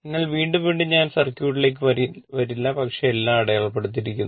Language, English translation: Malayalam, So, again and again I will not come to the circuit, but everything is marked